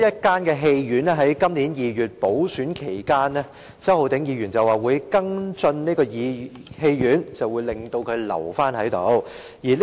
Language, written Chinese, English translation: Cantonese, 在今年2月的補選期間，周浩鼎議員表示會跟進東涌唯一一間戲院，令它得以保存。, During the by - election in February this year Mr Holden CHOW said he would follow up the issue of the only cinema in Tung Chung so that it could be preserved